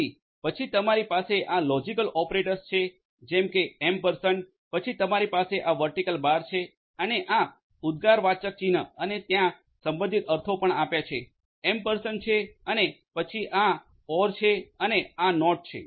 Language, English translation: Gujarati, So, then you have this logical operators like ampersand, then you have this vertical bar and this exclamation sign and there corresponding meanings are also given over ampersand is AND, then this is OR and this is NOT